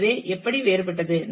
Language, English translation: Tamil, And how they are different